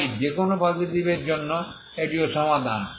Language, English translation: Bengali, So for any a positive this is what is also solution